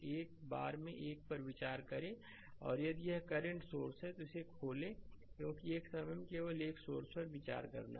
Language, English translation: Hindi, Take consider one at a time and if it is a current source you open it right such that, because you have to consider only one source at a time right